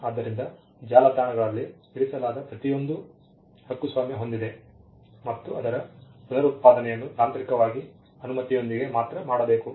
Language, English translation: Kannada, So, which means everything that was put on the website is copyrighted and reproduction should be done only technically with permission